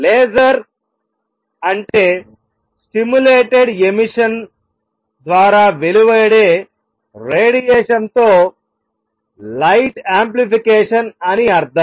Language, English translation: Telugu, Laser means light amplification by stimulated emission of radiation